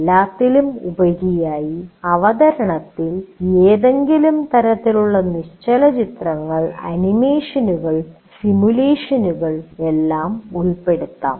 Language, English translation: Malayalam, And on top of that, any kind of still pictures, animations, simulations can all be included in the presentation